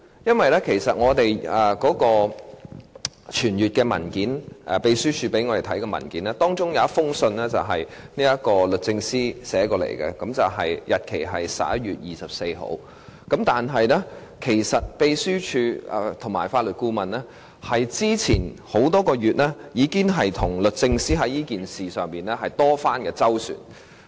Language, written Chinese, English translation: Cantonese, 在秘書處傳閱給我們的文件中，看到一封由律政司發出的信函，日期為11月24日；但是，秘書處和法律顧問已經在之前多個月就這事件與律政司作多番周旋。, Among the documents circulated to us by the Secretariat I saw a letter dated 24 November from DoJ . Nevertheless the Secretariat and the Legal Adviser had been dealing with the matters with DoJ for a few months before that date